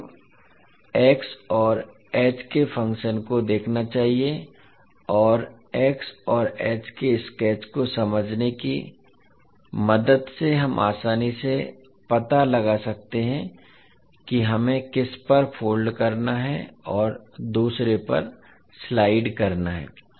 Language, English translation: Hindi, So we have to look at the functions x and h and we can with the help of just understanding the sketch of x and h, we can easily find out which one we have to fold and slide over the other one